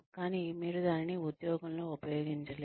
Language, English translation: Telugu, But, you are not able to use it on the job